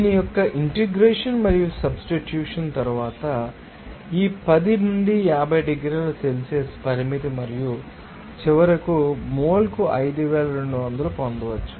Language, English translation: Telugu, And after integration and substitution of this, you know, limit of these 10 to 50 degrees Celsius and finally, you can get this 5200 per mole